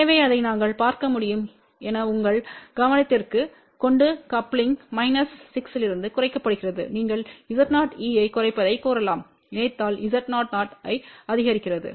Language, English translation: Tamil, So, just to bring to your attention as you can see that coupling is reduced ok from minus 6 to this you can say Z o e is also reducing where as if the coupling reduces Z o o is increasing